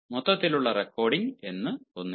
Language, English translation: Malayalam, there is nothing called overall recording